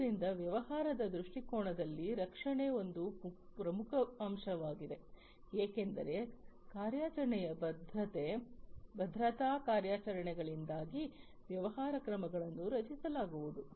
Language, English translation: Kannada, So, protection is an important factor in business perspective, because of the operational security operations the business actions are going to be protected